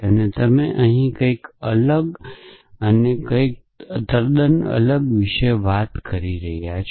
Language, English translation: Gujarati, And you are talking about something totally different here and something totally different here